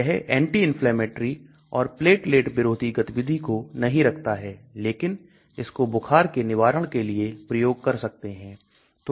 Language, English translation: Hindi, It does not have anti inflammatory anti platelet activity, but it can be used for anti pyretic